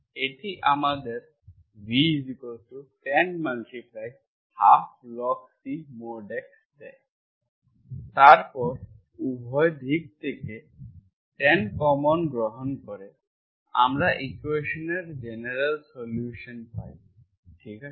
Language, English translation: Bengali, This gives me tan inverse v, v equal to 1 by 2 log C mod x, then take tan both sides, this is what is your general solution of the equation, this